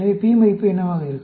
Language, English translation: Tamil, So, what will be the p value